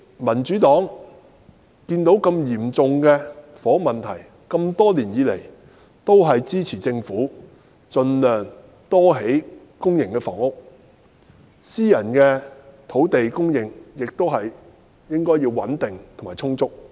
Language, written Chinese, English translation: Cantonese, 民主黨看見如此嚴重的房屋問題，因此這麼多年來，一直支持政府盡量多興建公營房屋，私人土地方面亦應有穩定及充足的供應。, In view of such a serious housing problem the Democratic Party has over the years supported the Government in building more PRH units as far as possible and ensuring stable and sufficient land supply for private housing construction